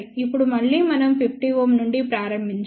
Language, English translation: Telugu, Now, again we have to start from 50 ohm